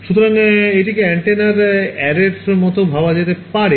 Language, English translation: Bengali, So, this can be thought of as a like an an antenna array